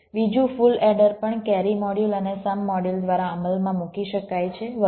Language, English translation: Gujarati, the second full order can also be implemented by a carry module and a sum module, and so on